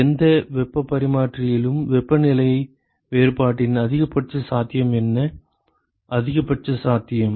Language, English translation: Tamil, What is the maximum possibility of temperature difference in any heat exchanger, maximum possible